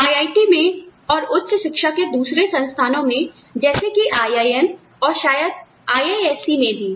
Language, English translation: Hindi, At IIT, and institutes of higher education like the IIMs, and possibly IISC also